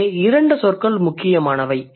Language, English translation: Tamil, So there are two words important here